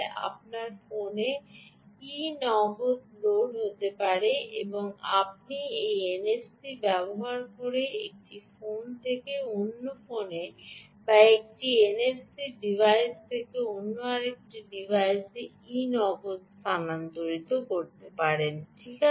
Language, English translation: Bengali, you can have e cash loaded on your phone and you can transfer e, cash, ah, from one phone to another phone or from one n f c device to another device using this n f c